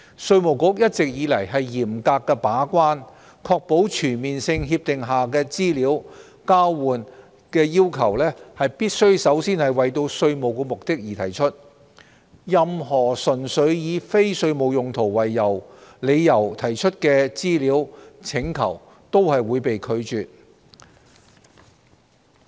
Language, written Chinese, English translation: Cantonese, 稅務局一直以來嚴格把關，確保全面性協定下的資料交換要求必須首先為稅務目的而提出，任何純粹以非稅務用途為理由提出的資料請求均會被拒絕。, The Inland Revenue Department IRD has been making serious efforts in gate - keeping to ensure that requests for exchange of information under CDTAs shall be made for tax purposes first . Any request for information for purely non - tax related purposes will all be rejected